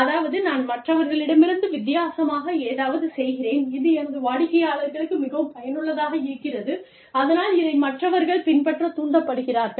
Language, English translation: Tamil, So, i do something, differently from others, that is more beneficial to my clients, that the others are motivated, to follow